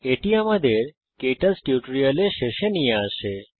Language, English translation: Bengali, This brings us to the end of this tutorial on KTouch